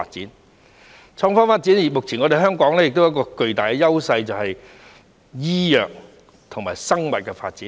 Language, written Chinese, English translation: Cantonese, 在創科發展方面，目前香港亦擁有巨大的優勢，就是醫藥和生物的發展。, In terms of the IT development Hong Kong has a great edge right now ie . the development of biomedicine